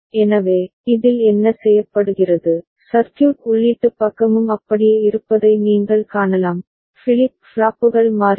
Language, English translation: Tamil, So, in this what is done, you can see the circuit input side remains the same, flip flops will toggle ok